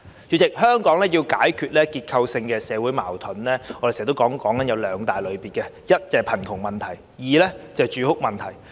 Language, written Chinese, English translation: Cantonese, 主席，香港要解決的結構性社會矛盾有兩大類別：一是貧窮，二是住屋。, President there are two major structural contradictions in Hong Kong society that need to be resolved one is poverty and the other is housing